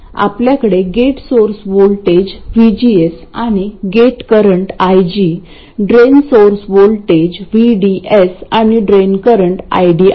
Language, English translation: Marathi, We have the gate source voltage VG and the gate current IG, the drain source voltage VDS and the drain source voltage VDS and the drain current ID